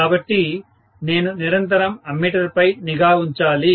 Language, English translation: Telugu, So, I have to continuously keep an eye on the ammeter